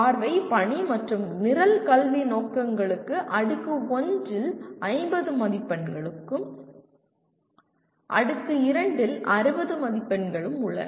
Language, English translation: Tamil, Vision, Mission, and Program Educational Objectives Tier 1 carriers 50 marks and Tier 2 carries 60 marks